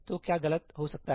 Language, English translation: Hindi, So, what can go wrong